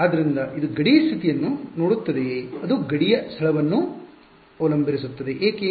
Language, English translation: Kannada, So, does it look at the boundary condition does it depend on the location of the boundary why because